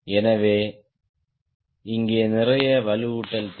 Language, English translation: Tamil, so here lots of reinforcement required, required